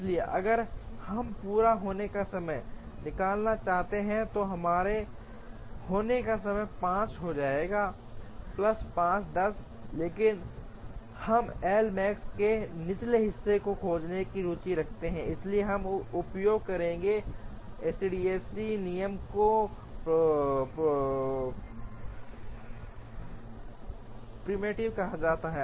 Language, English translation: Hindi, So, if we want to find out the completion time, then the completion time will become 5 plus 5 10, but we are interested in finding a lower bound to L max, therefore we will use what is called a preemptive EDD rule